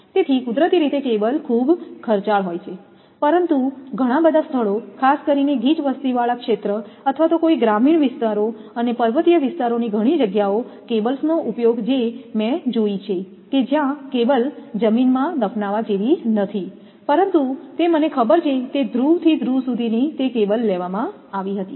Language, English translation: Gujarati, So, naturally cable are very expensive, but many places to use cables particular densely populated area or sometime rural areas and many places in hilly areas I have seen also cables are not like buried in the ground, but it is on the I know it is to from pole to pole it is cable had been taken